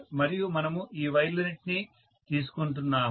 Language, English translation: Telugu, And we are taking all of these wires